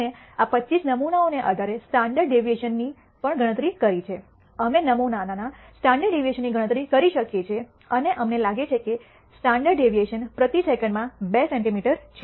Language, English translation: Gujarati, We have also computed the standard deviation based on these 25 samples we can compute the standard deviation of the sample and we nd that the standard deviation is two centimeter per second